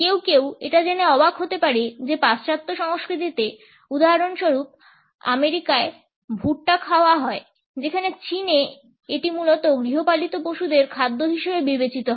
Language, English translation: Bengali, Some people may be surprised to note that in western cultures, for example in America, corn on the cob is eaten whereas in China it is considered basically as a food for domestic animals